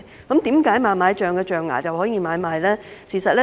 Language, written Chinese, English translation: Cantonese, 為何猛獁象象牙可以買賣？, Why is woolly mammoth ivory allowed for trade?